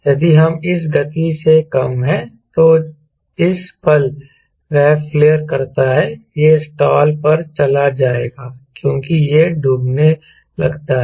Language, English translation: Hindi, if it is lower than this speed, then the moment you flats of it will go to install because start sinking